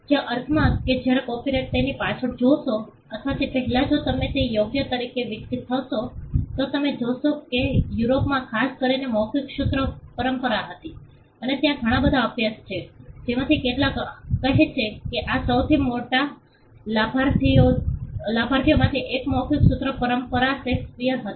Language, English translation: Gujarati, In the sense that copyright when it evolved as a right if you look behind it or before it you will find that Europe especially had an oral formulaic tradition and there are enough number of studies which some of it say that 1 of the biggest beneficiaries of the oral formulaic tradition was Shakespeare